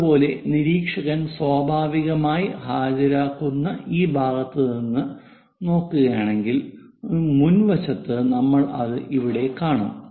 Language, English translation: Malayalam, Similarly, if we are looking from this side where observer is present naturally, the front one here we will see it here